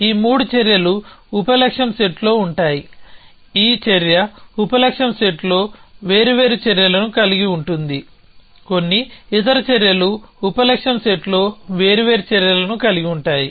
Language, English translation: Telugu, These three actions would be in the sub goal set, this action will have different actions at the sub goal set, some other actions will have different actions in the sub goal set